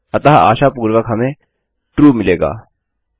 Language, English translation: Hindi, So hopefully we get true